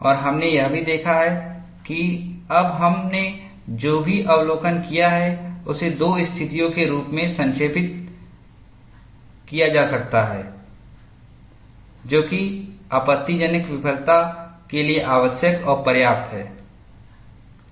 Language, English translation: Hindi, And we have also looked at, whatever the observation we have made now, could be summarized as two conditions, which are necessary and sufficient for catastrophic failure